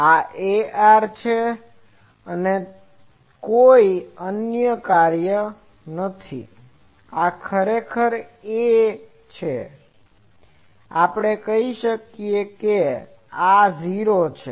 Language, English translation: Gujarati, This is 0, this is a r there is not any other function this is actually a, we I can say this is a 0